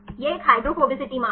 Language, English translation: Hindi, It is a hydrophobicity value